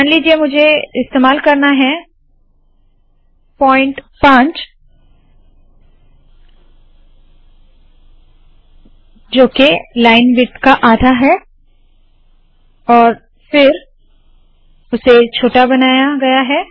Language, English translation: Hindi, Suppose I want to use point 5, that is half a line width, then it has been made small